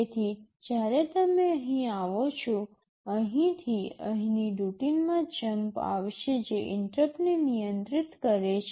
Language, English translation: Gujarati, So, when you come here, there will be a jump from here to the routine which is handling the interrupt